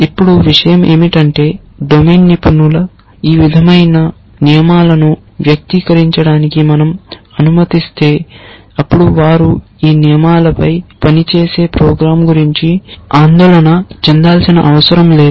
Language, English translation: Telugu, Now, the thing is that if we allow the domain expert to express rules like this then they do not have to worry about program which works on this rules